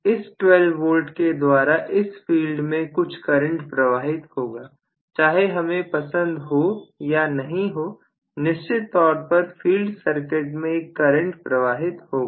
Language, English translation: Hindi, This 12 V is going to definitely pass a current through the field, weather I like it or not it will definitely pass the current through the field